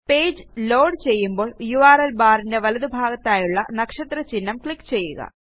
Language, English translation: Malayalam, Once the page loads, click on the star symbol to the right of the URL bar